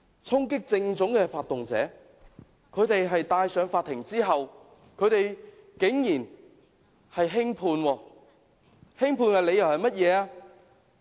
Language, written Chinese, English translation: Cantonese, 衝擊政府總部的發動者在法庭上竟然獲得輕判，輕判的理由是甚麼？, As for leaders inciting the storming of the Central Government Complex they were given a lenient sentence . What is the reason for the leniency?